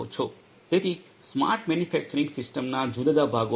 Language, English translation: Gujarati, So, there are different parts of the smart manufacturing system